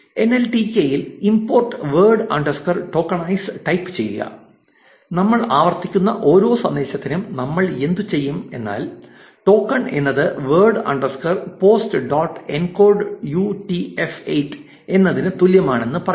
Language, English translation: Malayalam, Type from nltk import word underscore tokenize and for every message that we are iterating, what we will do is we will say tokens is equal to word underscore tokenize post message dot encode UTF 8